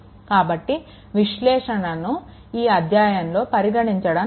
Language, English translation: Telugu, So, analysis that will not be consider in this chapter right